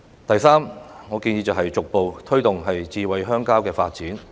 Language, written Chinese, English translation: Cantonese, 第三，我建議逐步推動的是"智慧鄉郊"的發展。, Third I suggest the gradual promotion of the development of smart rural areas